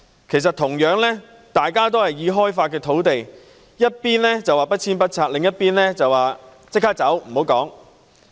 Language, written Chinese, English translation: Cantonese, 兩者同樣是已開發土地，一邊說要不遷不拆，另一邊則要求立即搬走，無須多說。, Both were developed land sites . They said no removal and no demolition for one while demanding immediate removal for the other